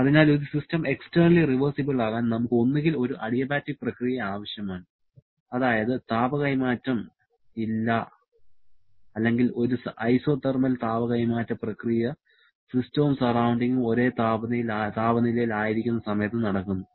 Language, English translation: Malayalam, Therefore, for a system to be externally reversible, we need to have either an adiabatic process that is no heat transfer or an isothermal heat transfer process during which system and surrounding are at the same temperature, that takes us to the concept of a reversible cycle